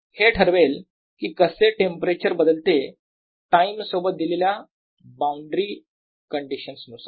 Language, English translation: Marathi, this is what will determine how temperature changes with time, given some boundary conditions, right